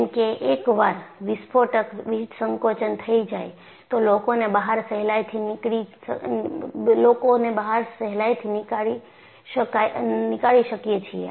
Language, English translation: Gujarati, Because once there is an explosive decompression, people will be sucked out